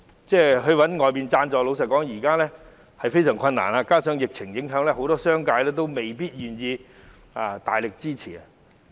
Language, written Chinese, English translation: Cantonese, 如要尋求外間贊助，老實說非常困難，加上疫情影響，商界未必願意大力支持。, Honestly it is very difficult to seek external sponsorship and owing to the impact of the epidemic the business community may not be willing to give strong support